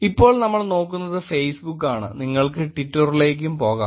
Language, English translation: Malayalam, Now what we are looking at is the Facebook and you can go to Twitter also